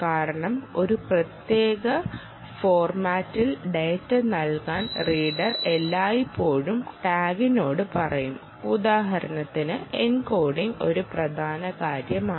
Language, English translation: Malayalam, the reason is: the reader will always tell the tag to provide data in a particular format, for example, encoding is an important thing, right